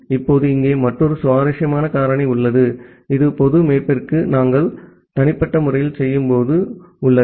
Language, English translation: Tamil, Now, here is another interesting factor which is there while we are doing this private to public mapping